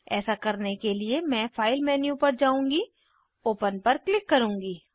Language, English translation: Hindi, To do this, I will go to the File menu, click on Open